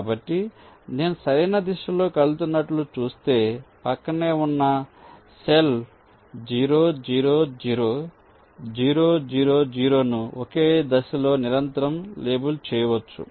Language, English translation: Telugu, so if i see i moving in the right direction, i can continually label the adjacent cell: zero, zero, zero, zero, zero, zero in ah in a single step itself